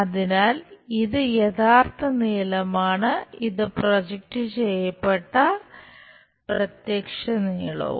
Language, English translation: Malayalam, So, this is true length this is projected apparent length